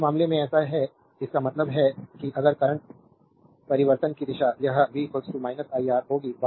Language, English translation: Hindi, So, in this case so, that means, it if direction of the current change it will be v is equal to minus iR